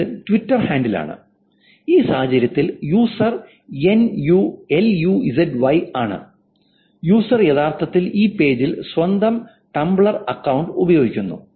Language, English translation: Malayalam, This is Twitter handle which says in this case I'll use at Y and this user is actually connecting her own Tumblr account in this page